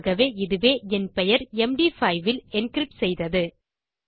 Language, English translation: Tamil, So that is my name encrypted in Md5